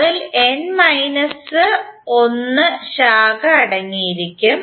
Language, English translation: Malayalam, It will contain n minus one branches